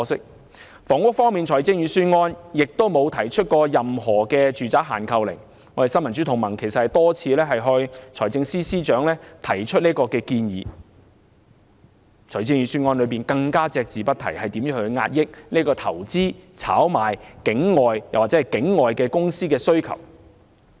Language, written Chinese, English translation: Cantonese, 在房屋方面，預算案沒有提出任何住宅限購令——我和新民主同盟曾多次向財政司司長提出建議——預算案亦隻字不提如何遏抑投資、炒賣、境外或境外公司需求。, In respect of housing the Budget did not propose any purchase restriction on residential properties a restriction which the Neo Democrats and I have repeatedly proposed to the Financial Secretary neither did it mention how to curb investment speculation or demands from overseas or overseas companies